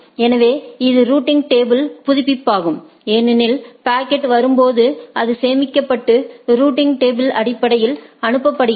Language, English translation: Tamil, So, that is the routing table update because, when the packet comes it gets stored and forwarded based on the routing table